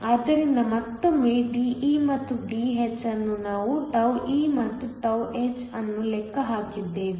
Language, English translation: Kannada, So, once again De and Dh we have calculated τe and τh are given